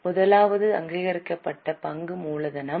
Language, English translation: Tamil, The first one is authorize share capital